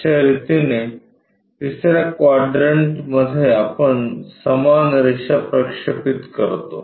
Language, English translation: Marathi, This is the way we project the same line in the 3rd quadrant